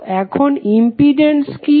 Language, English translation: Bengali, So, what is the impedance now